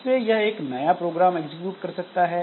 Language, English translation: Hindi, So, as a result, it can execute a new program